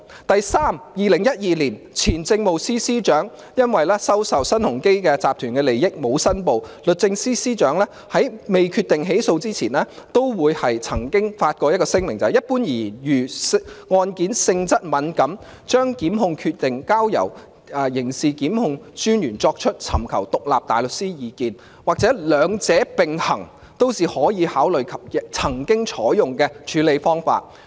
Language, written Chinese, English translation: Cantonese, 第三，在2012年，前政務司司長因沒有申報收受新鴻基集團的利益，時任律政司司長未決定起訴前，也曾發聲明表明，一般而言，如案件性質敏感，將檢控決定交由刑事檢控專員尋求獨立大律師意見，或兩者並行，都是可以考慮及曾經採用的處理方法。, Third in 2012 former Chief Secretary for Administration did not declare his acceptance of an advantage from Sun Hung Kai Properties Limited . Before the Secretary for Justice at that time decided to take prosecution action he had issued a statement saying that in general if there were sensitivities with regard to a particular case delegating the prosecution decision to DPP or seeking independent advice from outside counsel or both were options available for consideration; and these options had been adopted in past cases